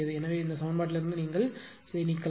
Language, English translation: Tamil, So, this term you drop from this equation this you drop